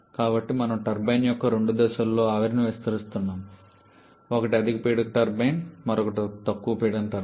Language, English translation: Telugu, So, here we are expanding the steam in two stages of turbine: one is a high pressure turbine and other is a low pressure turbine